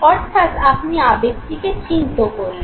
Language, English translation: Bengali, So you have labeled the emotion